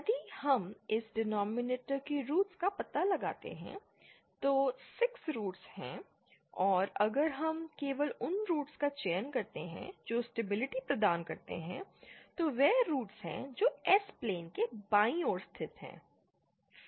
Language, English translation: Hindi, If we find out the roots of this denominator, then there are 6 roots and if we select only those roots that provide the stable, that is those roots that lie on the left half of the S plane